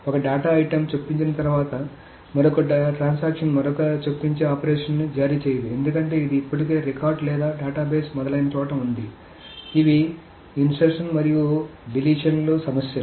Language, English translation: Telugu, So once a data item is inserted, another transaction cannot issue another insertion operation because it is already in the place, already in the record or database etc